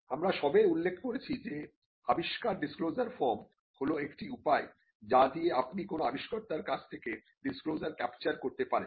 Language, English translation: Bengali, We had just mentioned that, invention disclosure form is one way in which you can capture the disclosure from an inventor